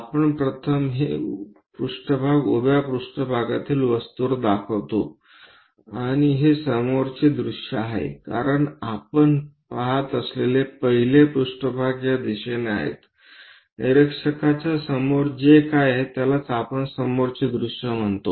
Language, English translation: Marathi, we first of all show this plane on the object on the vertical plane and this is front view, because the first one what we are observing is in this direction; front direction of the observer whatever it is present that is what we call front view